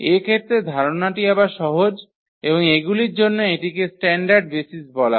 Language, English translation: Bengali, The idea is again simple in this case and that is for these are called the standard basis